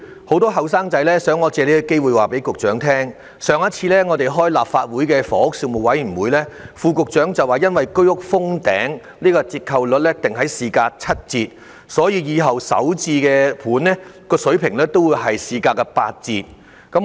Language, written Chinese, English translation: Cantonese, 很多青年人想我藉此機會告訴局長，副局長在立法會房屋事務委員會上次會議上表示，由於居屋封頂，折扣率要訂於市價七折，日後首置樓盤的價格會訂於市價八折。, Many young people want me to take this opportunity to tell the Secretary that according to the remark of the Under Secretary at the last meeting of the Panel on Housing of the Legislative Council due to the price cap of HOS units the discount rate should be set at 30 % off the market values and the price of SH units in the future will be set at 20 % off the market values